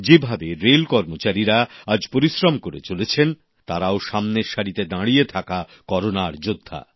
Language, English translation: Bengali, The way our railway men are relentlessly engaged, they too are front line Corona Warriors